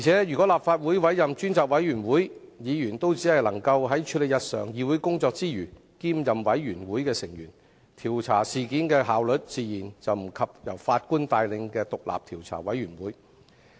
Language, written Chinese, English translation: Cantonese, 如果立法會委任專責委員會，議員只能在處理日常議會工作之餘，兼任專責委員會成員，調查事件的效率自然不及由法官帶領的調查委員會。, If the Legislative Council appoints a select committee Members have to take up the work apart from performing their routine tasks in the legislature hence the efficiency in investigation will naturally be inferior to the Commission of Inquiry led by a former Judge